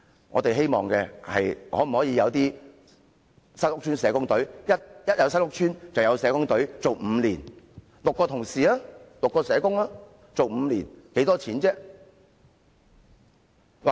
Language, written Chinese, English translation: Cantonese, 我們希望當局成立由6名社工組成的新屋邨社工隊，在每個新屋邨提供服務，為期5年。, We hope that the authorities will set up a six - member social worker team to provide services for residents of new PRH estates for a period of five years